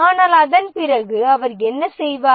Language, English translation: Tamil, But after that what does he do